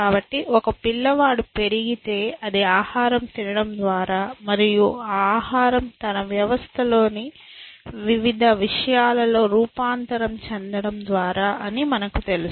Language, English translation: Telugu, So, if a child grows up it is by eating food and you know having that food transform into various things inside his system